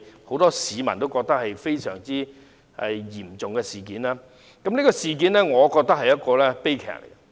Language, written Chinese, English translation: Cantonese, 很多市民認為，"七二一"事件相當嚴重，我也認為這是悲劇。, Many people opine that the 21 July incident is rather serious . I also think it is a tragedy